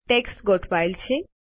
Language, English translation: Gujarati, The text gets aligned